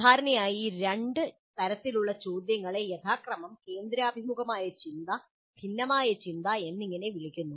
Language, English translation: Malayalam, And generally these two types of questions are being called as convergent thinking and divergent thinking respectively